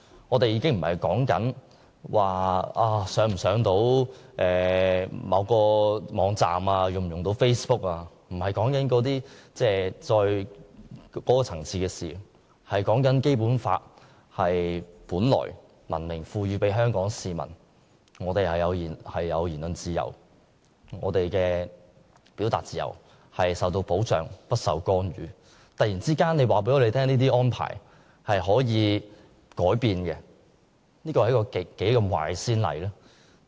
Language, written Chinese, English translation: Cantonese, 我們所擔心的已不是能否登入某個網站或使用 Facebook 的問題，不是這個層次的事，而是關注《基本法》明文賦予香港市民的言論自由、表達自由，本來可受到保障而不受干預，但卻因政府突然宣布的此一安排而有可能改變，這實在是一個極壞的先例。, Our concern is no longer as simple as website access and Facebook usage . Our concern is no longer as simple as that . Rather our concern is that Hong Kong peoples freedom of speech and freedom of expression are expressly protected by the Basic Law against any intervention but then because of the Governments sudden announcement of this proposal such freedoms of ours may be undermined